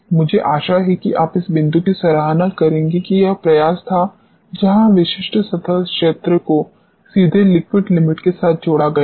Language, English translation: Hindi, I hope you will appreciate this point that this was the effort where specific surface area has been directly linked with liquid limit